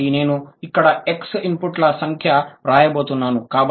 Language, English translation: Telugu, So I'm going to write here X number of inputs